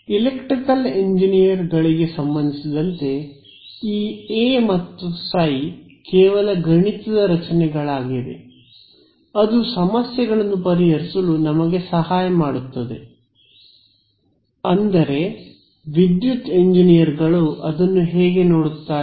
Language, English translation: Kannada, As far as electrical engineers are concerned this A and phi are purely mathematical constructs which are helping us to solve the problems that is how electrical engineers look at it